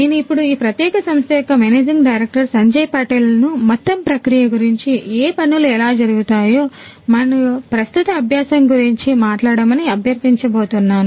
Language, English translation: Telugu, Sanjay Patel the managing director of this particular company to talk about the entire process, you know what things are done how it is done and the current state of the practice